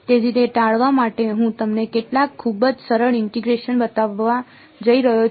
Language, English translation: Gujarati, So, to avoid those, I am going to show you some very simple integrations